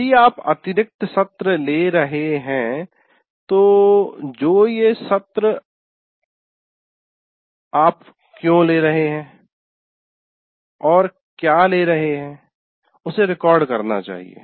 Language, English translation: Hindi, But if you are taking extra sessions, you should record why you are taking that session